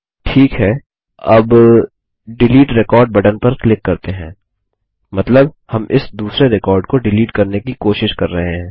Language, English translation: Hindi, Good, let us now click on the Delete Record button, meaning, we are trying to delete this second record